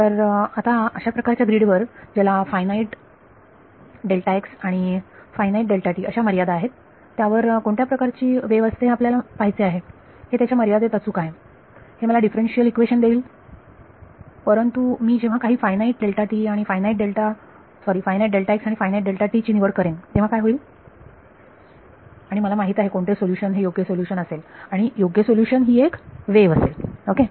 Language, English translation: Marathi, So, now, we want to see what kind of a wave flows on such a grid which has a finite delta x and a finite delta t in the limit of course, its correct right in the limit it will give me the differential equation, but when I choose some finite delta x and finite delta t what happens ok, and I know what the solution should be right solution should be a wave ok